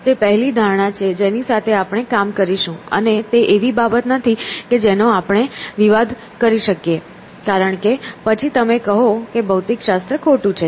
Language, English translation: Gujarati, So, that is a first assumption that we will work with and it is not something that we can dispute because then you are saying the physics is wrong essentially